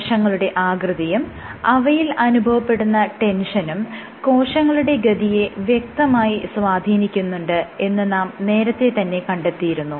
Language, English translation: Malayalam, So, previously I have shown that cell shape influences cell shape and cell tension influences cell fate